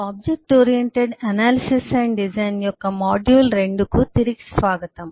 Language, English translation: Telugu, welcome back to module 2 of object oriented analysis and design